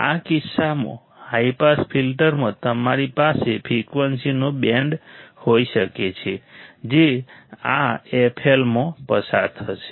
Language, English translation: Gujarati, In this case in high pass filter, you can have a band of frequencies that will pass above this f L right